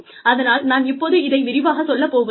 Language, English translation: Tamil, So, I will not go in to, too much detail now